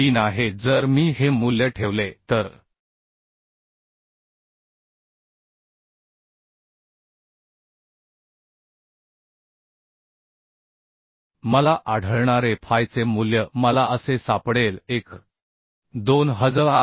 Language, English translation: Marathi, 03 if I put this value then the value of phi I can found I can find as 1